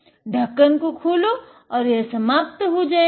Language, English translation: Hindi, Open the lid, we are done